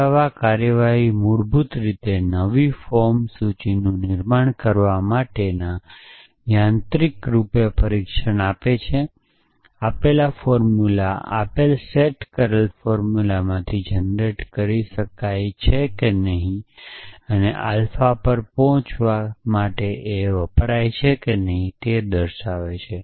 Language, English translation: Gujarati, So, proof procedures are basically mechanism for doing achieving this mechanically producing new form list or mechanically testing whether the given formula can be produce from a given set up formulas and arriving at alpha